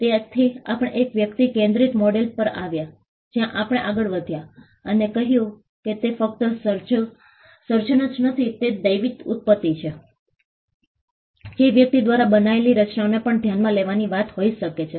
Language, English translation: Gujarati, So, we came to an individual centric model where we moved forward and said that it is not just creation that is of divine origin, that matters even the creations by the individual itself could be a thing to be considered